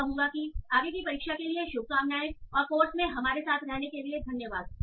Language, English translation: Hindi, So I will, so let me wish good luck for the exam and thanks for being with us for the course and all my best wishes